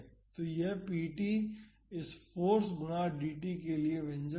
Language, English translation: Hindi, So, that would be p t the expression for this force times dt